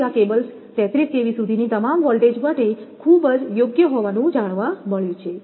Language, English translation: Gujarati, So, these cables have been found to be very suitable for all voltages up to 33 kV